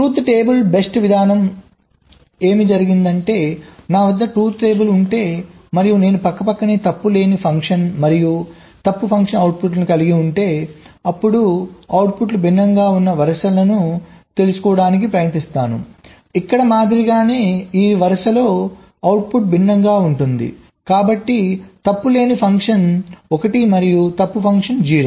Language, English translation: Telugu, so the so called truth table based approach says that if i have the truth table with me and if i have side by side the fault free function and the faulty function outputs, then i try to find out ah row where the outputs are different, like here